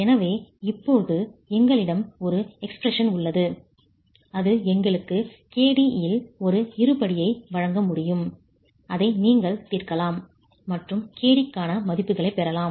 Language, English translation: Tamil, So, we now have an expression that can give us a quadratic in KD which you can solve and get values for KD